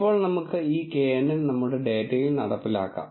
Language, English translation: Malayalam, Now, let us implement this knn on our data